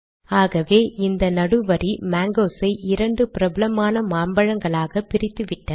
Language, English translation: Tamil, So this central line has split the mangoes into two of the most popular mangoes in India